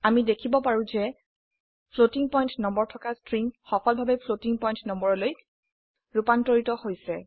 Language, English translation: Assamese, We can see that the string containing a floating point number has been successfully converted to floating point number